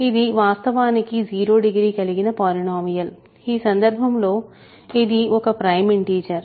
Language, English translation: Telugu, So, it is actually a degree 0 polynomial in which case it is a prime integer